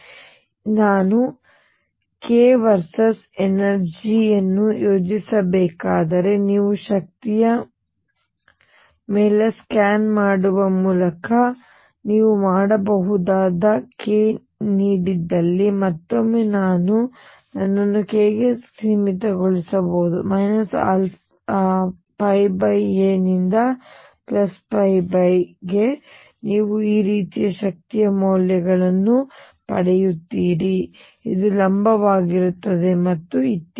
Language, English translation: Kannada, And now if I have to plot energy versus k and that you can do by scanning over energy you will find that for a given k and again I can restrict myself to k between minus pi by a to pi by a you will get energy values like this, is perpendicular and so on